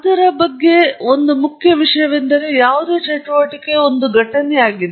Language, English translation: Kannada, First and most important thing about it is that it is an event